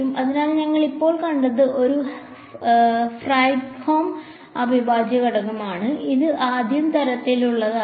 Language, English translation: Malayalam, So, what we just saw was a Fredholm integral equation, this is of the 1st kind